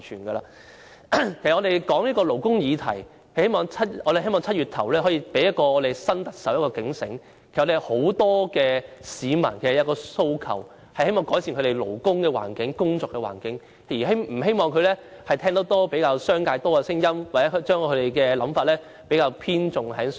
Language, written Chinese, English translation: Cantonese, 我們討論勞工議題，希望在7月初讓新特首有所警醒，很多市民其實有一個訴求，就是希望改善工作環境，不希望她偏聽商界的聲音，又或將想法偏重於商界。, We discussed labour issues to alert the new Chief Executive in early July to the aspiration held by many people for improvement of working conditions and did not want her to listen only to the business sector or tilt her consideration to the business sector